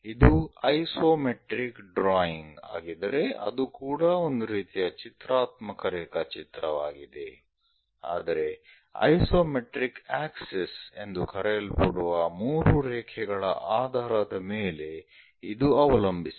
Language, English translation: Kannada, If it is isometric drawing a type of it is also a type of pictorial drawing, but based on 3 lines which we call isometric access